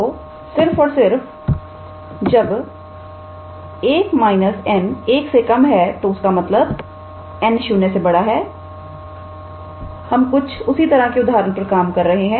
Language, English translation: Hindi, So, if and only if 1 minus n is less than 1 so; that means, n is greater than 0 we just worked out an example like that